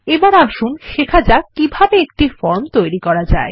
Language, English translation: Bengali, Now, let us learn how to create a form